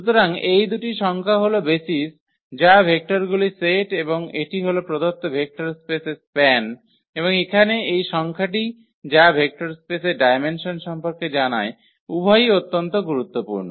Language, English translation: Bengali, So, these two numbers are the basis that is the set of the vectors and that is that is span the given vector space and this number here which is which tells about the dimension of the vector space both are very important